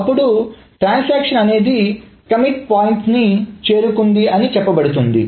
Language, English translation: Telugu, And then a transaction is said to reach its commit point